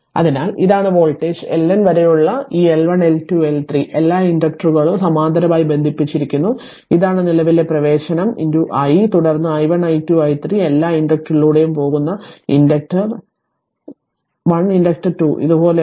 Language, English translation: Malayalam, So, this is the voltage and this L 1 L 2 L 3 up to L N all inductors are connected in parallel and this is the current entering into i right and then i1 i2 i3 all current going through inductor 1 inductor 2 like this